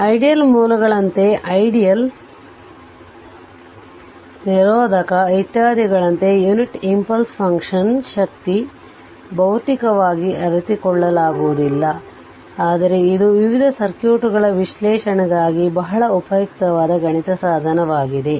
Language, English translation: Kannada, Actually, physically unit impulse function is like ideal sources volt ideal sources or resistor that your unit in physically it is not realizable, but it is a very strong mathematical tool right, for circuit analysis